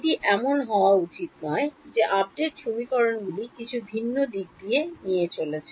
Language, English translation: Bengali, It should not be that the update equations are taking in some different directions